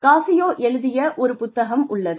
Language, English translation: Tamil, There is a book by, Cascio